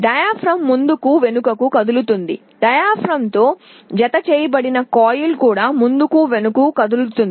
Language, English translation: Telugu, The diaphragm moves back and forth, the coil that is attached to a diaphragm will also move back and forth